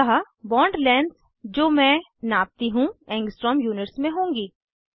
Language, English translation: Hindi, So, the bond lengths I measure, will be in Angstrom units